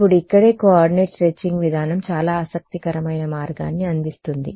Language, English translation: Telugu, Now here itself is where the coordinate stretching approach presents a very interesting way